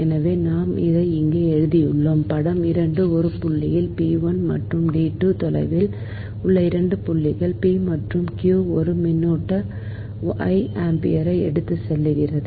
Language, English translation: Tamil, figure two shows two points, p and q, at distances d one and d two, from a conductor which carries a current, i ampere